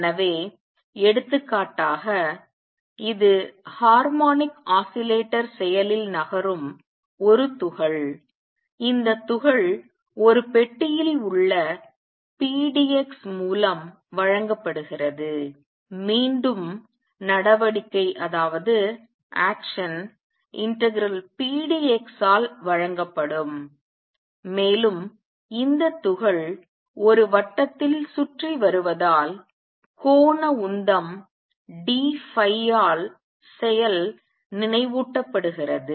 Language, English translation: Tamil, So, for example, it is a particle moving around in harmonic oscillator action is given by pdx in this particle in a box, again action will be given by integral pdx and for this particle going around in a circle, the action remember was given by the angular momentum d phi